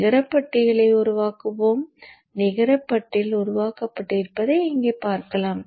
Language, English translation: Tamil, So let us generate the net list and you would see here that the net list has been generated